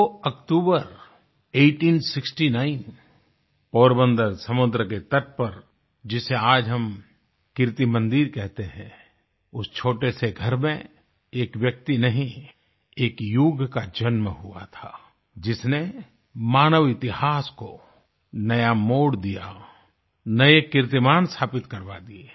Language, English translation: Hindi, On the 2nd of October, 1869, at the beach of Porbandar, in Kirti Mandir as it is known today,… in that tiny abode, not just a person; an era was born, that charted the course of human history on an altogether new path, with trail blazing accomplishments on the way